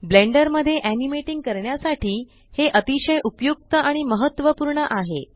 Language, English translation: Marathi, This is very useful and important for animating in Blender